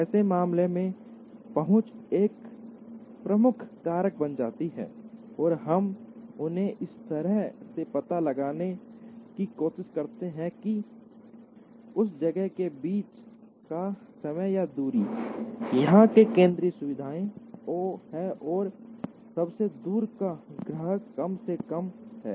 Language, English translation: Hindi, In such cases, the reach becomes a dominant factor and we try to locate them in such a way that, the time or distance between the place, where these central facilities are located and the farthest customer is minimized